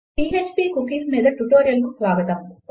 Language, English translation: Telugu, Welcome to this tutorial on php cookies